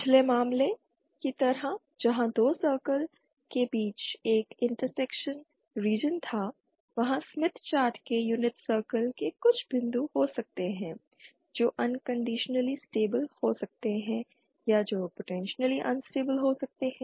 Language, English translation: Hindi, Like in the previous case where there was a intersection region between two circles there could be some points with in the unit circle of the smith chart which could be stable unconditionally or which could be potentially stable unstable